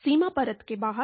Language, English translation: Hindi, Outside the boundary layer